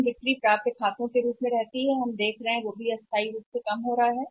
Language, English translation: Hindi, The number of days sales locked to the accounts receivables we have seen the tentatively it is also coming down